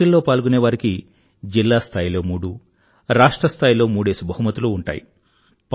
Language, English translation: Telugu, The best three participants three at the district level, three at the state level will be given prizes